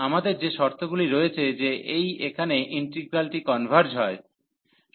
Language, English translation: Bengali, And that those conditions we have that this integral the product here converges